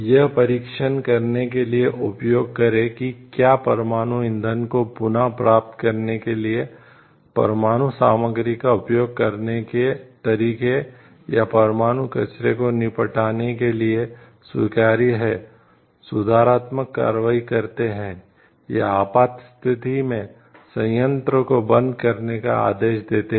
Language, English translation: Hindi, Perform experiment to test whether methods of using nuclear material reclaiming nuclear fuel, or disposing of nuclear waste are acceptable, take corrective actions, or order plant shutdowns in emergencies